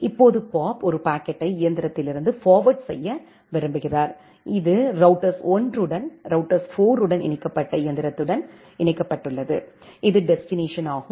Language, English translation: Tamil, Now bob wants to forward a packet from a machine, which is connected with router 1 to a machine which is connected with router 4, this is the destination